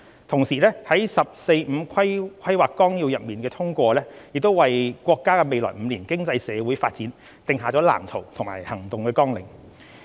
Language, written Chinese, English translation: Cantonese, 同時，《十四五規劃綱要》的通過亦為國家未來5年經濟社會發展定下藍圖和行動綱領。, Meanwhile the approved 14 Five - Year Plan sets out the blueprint and action agenda for the social and economic development of the country in the next five years